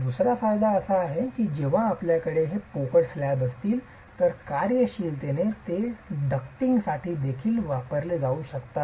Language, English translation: Marathi, The other advantage is that when you have these hollow slabs, functionally they may be used for some ducting as well